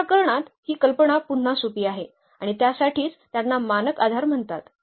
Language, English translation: Marathi, The idea is again simple in this case and that is for these are called the standard basis